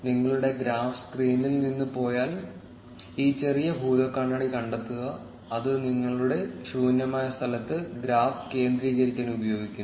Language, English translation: Malayalam, Remember that if your graph goes off the screen, then find out this small magnifying glass, which is used to center the graph in your blank space